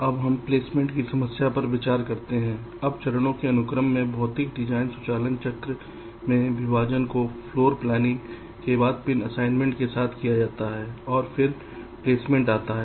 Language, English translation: Hindi, now, in the sequence of steps in the physical design automation cycle, partitioning is followed by floor planning with pin assignment and then comes placement